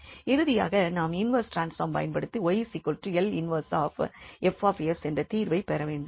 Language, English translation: Tamil, And then finally we will apply the inverse transform to get the solution y is equal to L inverse F s